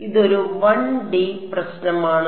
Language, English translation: Malayalam, So, it is a 1 D problem